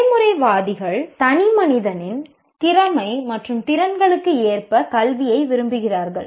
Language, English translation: Tamil, Pragmatists want education according to the aptitudes and abilities of the individual